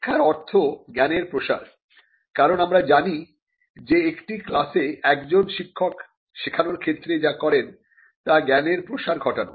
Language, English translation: Bengali, The teaching function is linked to dissemination of knowledge, because we know that in teaching what a teacher does in a class is disseminate the knowledge